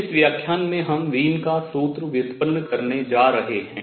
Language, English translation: Hindi, In this lecture we are going to derive Wien’s formulas